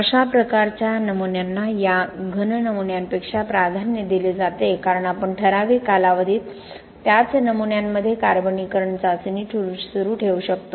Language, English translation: Marathi, This kind of specimens are preferred over these cube specimens because we can continue the carbonation test in the same specimens over a period of time